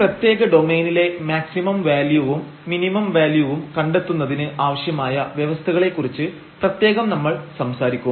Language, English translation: Malayalam, And in particular we will be talking about the necessary conditions that are required to find the maximum and minimum values of the function in a certain domain